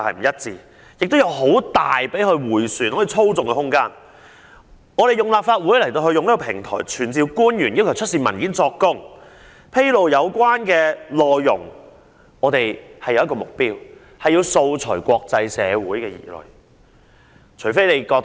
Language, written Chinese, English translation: Cantonese, 我們利用立法會平台傳召官員作供及要求政府出示文件和披露有關內容，目的是要釋除國際社會的疑慮。, By means of the Legislative Council platform we have summoned public officers to testify and requested the Government to produce documents and disclose relevant content . Our purpose is to allay the concerns of the international community